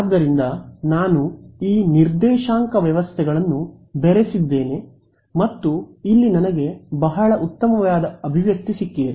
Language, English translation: Kannada, So, I have mixed up these coordinate systems and I have got a very nice expression over here